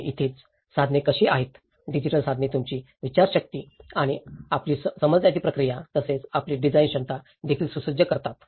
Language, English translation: Marathi, And this is where how the tools; the digital tools are also conditioning your thinking and your understanding process and also your design ability as well